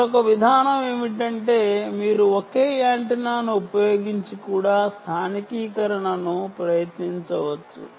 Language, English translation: Telugu, another approach is you can use a single antenna and try also localization